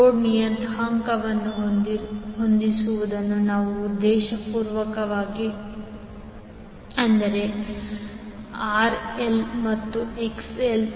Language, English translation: Kannada, Our objective is to adjust the load parameter, that is RL and XL